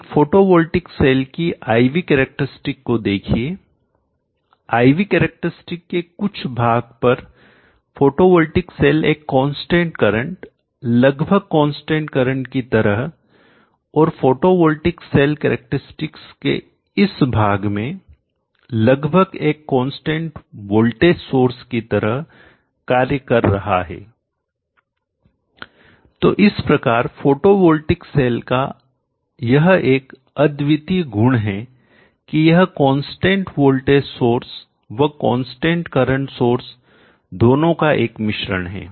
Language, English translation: Hindi, Consider the IV characteristic of a typical photovoltaic cell observe that for some portion of the IV characteristic the photovoltaic cell behaves as a constant current more or less constant current for this portion of the characteristic the photovoltaic cell would behave like more or less a constant voltage source so the photovoltaic cell has the unique feature of being both a combination of a constant voltage source and the constant current source